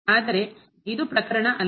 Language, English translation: Kannada, But this is not the case